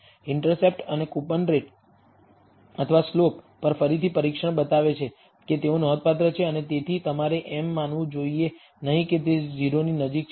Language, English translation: Gujarati, The again the test on the intercept and the coupon rate or slope shows that that they are significant and therefore, you should not assume that they are close to 0